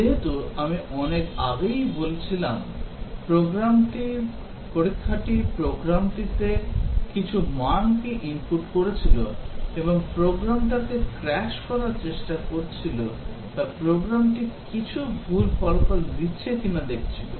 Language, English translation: Bengali, As I was saying that long back, testing was just inputting some values to the program and trying to crash the program or see that the program produces some wrong results